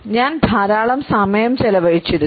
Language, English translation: Malayalam, I do spend a lot of time back